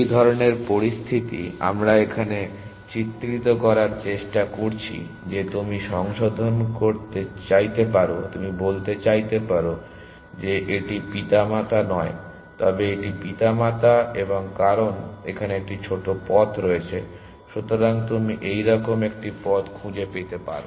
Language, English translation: Bengali, we are trying to depict here; that you may want to revise you may want to say this is not the parent, but this is the parent and because there is a shorter path here